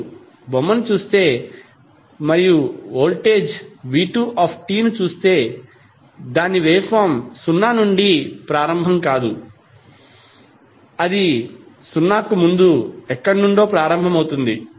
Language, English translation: Telugu, If you see this particular figure and you see the voltage V2T, so its waveform is not starting from zero, it is starting from somewhere before zero